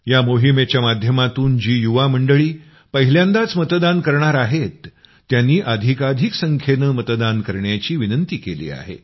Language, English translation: Marathi, Through this, first time voters have been especially requested to vote in maximum numbers